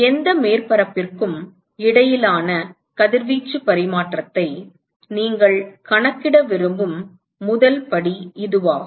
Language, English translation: Tamil, That is the first step when you want to calculate radiation exchange between any surface